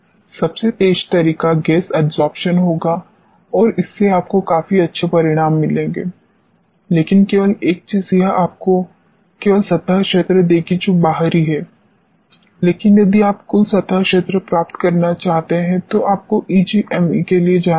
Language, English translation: Hindi, The quickest method would be gas adsorption and this gives you reasonably good results, but only thing is it will give you only surface area which is external, but if you want to get the total surface area then you have to go for EGME